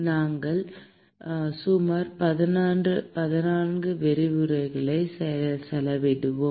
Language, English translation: Tamil, We will spend about 14 lectures